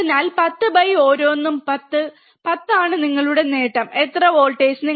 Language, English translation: Malayalam, So, 10 by one is 10, 10 is your gain, how much voltage